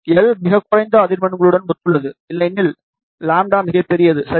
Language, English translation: Tamil, L corresponds to the lowest frequency, otherwise lambda is the largest ok